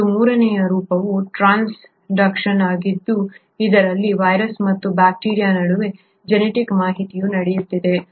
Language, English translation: Kannada, And a third form is transduction wherein there is a genetic information happening between a virus and a bacteria